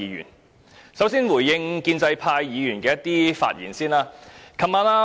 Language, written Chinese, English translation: Cantonese, 首先，我想回應建制派議員的發言。, First of all I would like to respond to the remarks made by pro - establishment Members